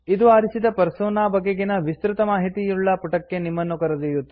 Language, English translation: Kannada, This will take you to a page which gives details of the chosen Persona